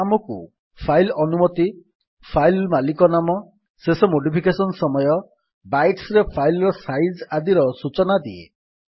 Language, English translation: Odia, It gives us the file permissions, file owners name, last modification time, file size in bytes etc